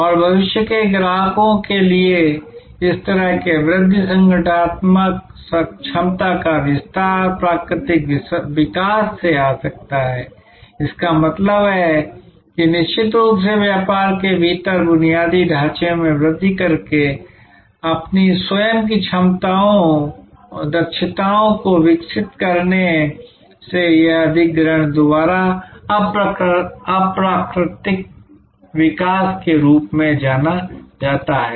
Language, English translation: Hindi, And this kind of growth for future customers, expanding the organizational capability can come from organic growth; that means from within by evolving our own competencies by increasing the infrastructure within the business of course, it can also come by what is known as inorganic growth by acquisition